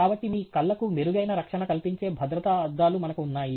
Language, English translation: Telugu, So, therefore, we have safety glasses which do a much better coverage of your eyes